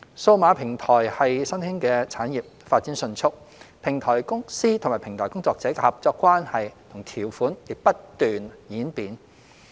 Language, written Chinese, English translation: Cantonese, 數碼平台是新興產業，發展迅速，平台公司與平台工作者的合作關係和條款亦不斷演變。, Digital platforms are an emerging industry . With the rapid development of the industry the partnership and terms between platform companies and platform workers are also constantly changing